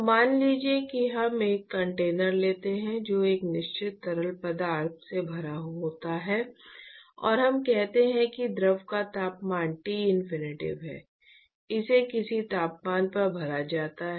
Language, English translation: Hindi, So, supposing we take a container, which is filled with a certain fluid and let us say that the temperature of the fluid is Tinfinity it is filled at some temperature